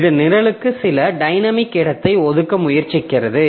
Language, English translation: Tamil, It tries to assign some dynamic space to the program